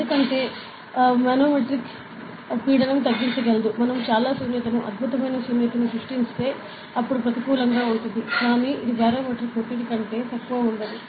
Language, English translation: Telugu, Because manometric pressure can reduce up to say, if we create a lot of vacuum, excellent vacuum then will be like be negative; but it does not go below barometric pressure a lot